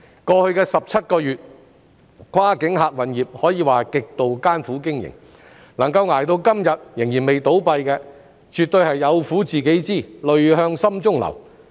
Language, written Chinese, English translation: Cantonese, 過去17個月，跨境客運業可謂極度艱苦經營，能夠捱到今天仍未倒閉的，絕對是"有苦自己知，淚向心中流"。, It can be said that over the past 17 months the cross - boundary passenger service sector has endured extreme hardship in operation . Those who have survived to this day have really kept all the miseries to themselves and shed tears in their hearts